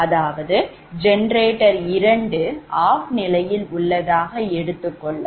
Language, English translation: Tamil, that means this generator two is not there